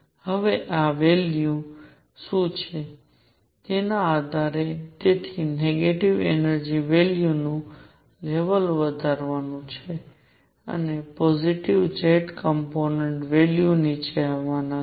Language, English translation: Gujarati, Now depending on what these values are, so negative energy value levels are going to move up and positive z component values are going to come down